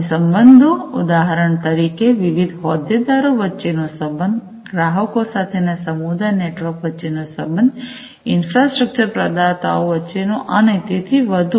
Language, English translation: Gujarati, And the relationships; relationships, for example relationships between the different stakeholders, the community networks with the customer, with the infrastructure providers between them, across them and so on